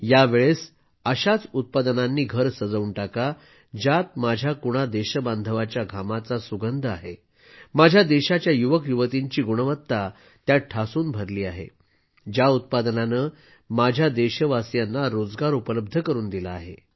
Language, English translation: Marathi, This time, let us illuminate homes only with a product which radiates the fragrance of the sweat of one of my countrymen, the talent of a youth of my country… which has provided employment to my countrymen in its making